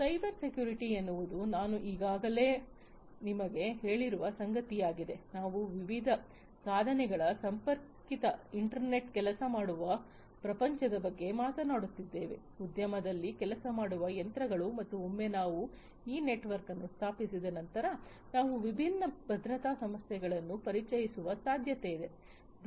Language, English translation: Kannada, Cybersecurity is something that I have already told you, we are talking about a well connected internet worked world of different devices, different machines working in the industry and once we have set up this network, it is quite possible that we will introduce different security issues